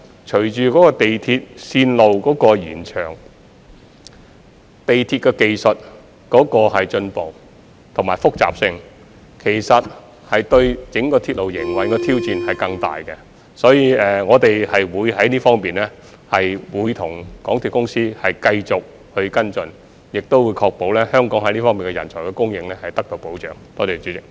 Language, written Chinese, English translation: Cantonese, 隨着港鐵線路的延長、鐵路技術的進步和複雜性，營運整個鐵路的挑戰將會更大，所以我們會在這方面與港鐵公司繼續跟進，亦會確保香港在這方面的人才供應得到保障。, With the extension of railway lines as well as the advancement and complexity of railway technology the challenge of operating the railway as a whole has become even greater . Therefore we will continue to follow up with MTRCL in this aspect and ensure that the supply of talents in this field in Hong Kong is safeguarded